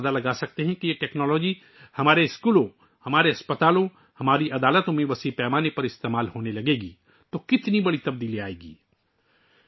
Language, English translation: Urdu, You can imagine how big a change would take place when this technology starts being widely used in our schools, our hospitals, our courts